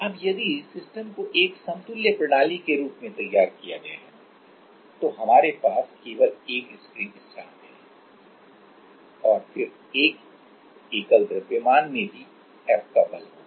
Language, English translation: Hindi, Now, if the system is modeled as an equivalent system we have only one spring constant right, and then one single mass also will have a force of F